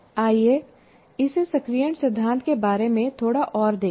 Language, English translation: Hindi, Let us look at it a little more about activation principle